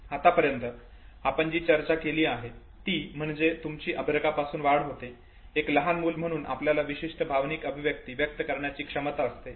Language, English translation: Marathi, Now what we have discussed till now is that as an infant you grow, as an infant you are endowed with certain capacity to acquire certain emotional expressions